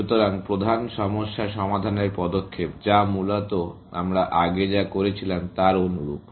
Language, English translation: Bengali, So, the main problem solving step, which is basically, very similar to what we were doing earlier